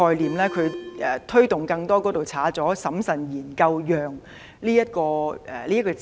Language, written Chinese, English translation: Cantonese, 她的修正案刪去了"推動更多"並加入"審慎研究讓"的字眼。, In her amendment incentivizing more is deleted and replaced by carefully conducting studies on allowing